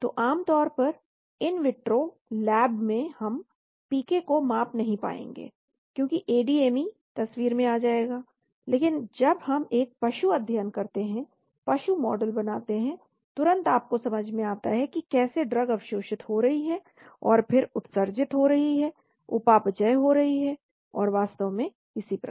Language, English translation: Hindi, So generally in vitro in the lab we will not be able to measure PK, because ADME comes into the picture, but when we do an animal study animal model immediately you come to understand how that drug gets absorbed and then excreted, metabolized and so on actually